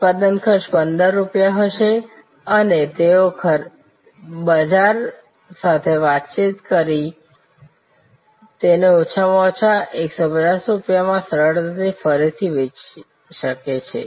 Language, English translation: Gujarati, The production cost will be 15 rupees and they did check with the market that it can easily be resold at least and 150 rupees